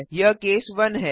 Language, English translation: Hindi, This is case 1